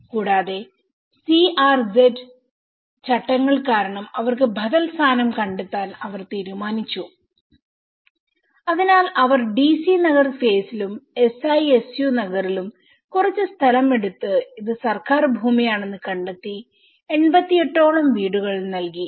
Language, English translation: Malayalam, And they decided to find alternative position for them because of the CRZ regulations so they have took some land in the DC Nagar phase and SISU Nagar and they have identified this is a government land and have given about 88 houses